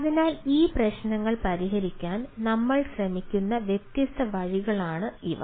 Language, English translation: Malayalam, so these are the different ah way we try to address this issues